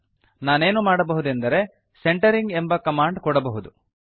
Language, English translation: Kannada, What I can do is give a command here called centering